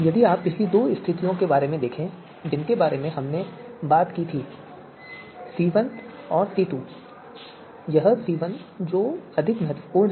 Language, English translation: Hindi, So if you look at the previous two you know conditions that we talked about C1 and C2 it is C1 which is more important